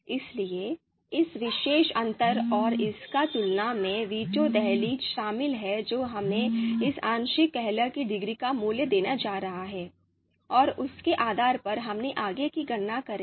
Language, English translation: Hindi, So this particular difference and its comparison involving the veto threshold that is going to give us the you know value of this partial discordance degree, and based on that, we will you know you know make further computations